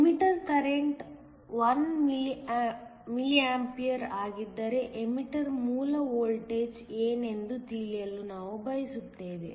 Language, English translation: Kannada, We also want to know what the emitter base voltage is if the emitter current is 1 mA